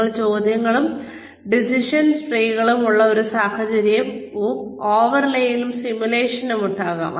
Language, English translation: Malayalam, You could have, a scenarios with questions and decision trees, overlaying simulation